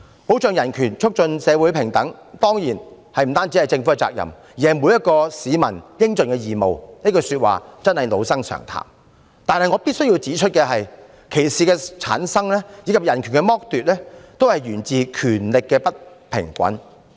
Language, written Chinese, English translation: Cantonese, 保障人權、促進社會平等當然不單是政府的責任，而是每一名市民應盡的義務，這句說話真是老生常談，但我必須指出，歧視的產生，以及人權的剝奪均源自權力不平衡。, Protection of human rights and promotion of equality in society are certainly not the responsibilities of the Government alone but of all members of the public too . This remark is really a cliché but I must point out that discrimination and deprivation of human rights are generated by the imbalance of power